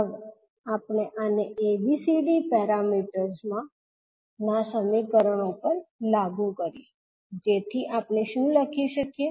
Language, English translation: Gujarati, Now we apply this to ABCD parameter equations so what we can write